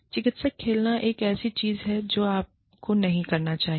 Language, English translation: Hindi, Playing therapist is another thing, that you should not do